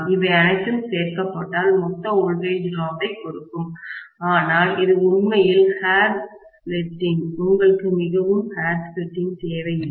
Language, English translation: Tamil, All these things added together will give me that total voltage drop, but it is actually hair splitting, you don’t really need so much of hair splitting